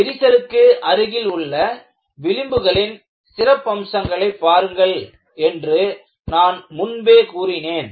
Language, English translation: Tamil, And, I have also asked you to look at the special features of the fringe in the vicinity of the crack